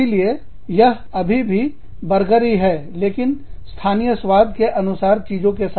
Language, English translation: Hindi, So, it is still a burger, with stuff, that is very, very, suited, to the local taste